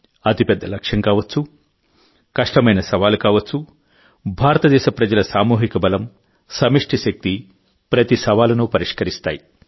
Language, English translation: Telugu, Be it the loftiest goal, be it the toughest challenge, the collective might of the people of India, the collective power, provides a solution to every challenge